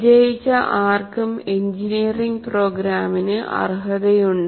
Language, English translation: Malayalam, Anyone who passed is eligible for engineering program